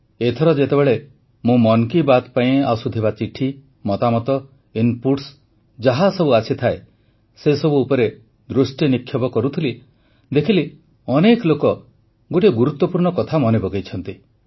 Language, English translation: Odia, This time when I was perusing the letters, comments; the varied inputs that keep pouring in for Mann ki Baat, many people recalled a very important point